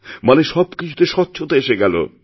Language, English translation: Bengali, The entire process becomes transparent